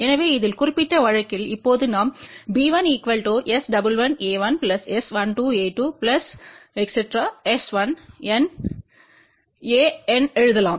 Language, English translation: Tamil, So, in this particular case now we can write b 1 as S 11 a 1, S 12 a 2 and all the way S 1N a N